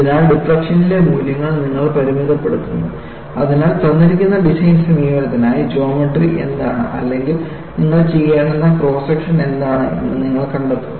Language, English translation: Malayalam, So, you limit the values on the deflection, so that, you find out what is the geometry or what is the cross section that you have to do, for a given design approach